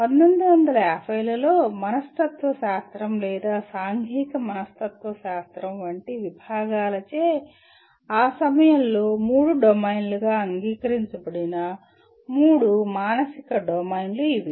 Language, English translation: Telugu, These are the three psychological domains which were fairly accepted as three domains at that time by disciplines like psychology or social psychology in 19 by 1950s